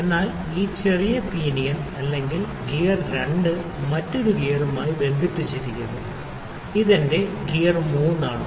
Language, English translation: Malayalam, So, this small pinion or the lets say the gear 2 is also connected to another gear, which is my gear 3